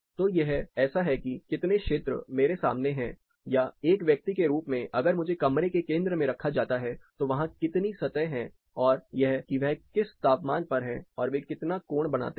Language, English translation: Hindi, So, it is like how much areas you know exposed to me or as a person if I am put in the center of the room how many surfaces are there and that what temperature they are and what angle they subtend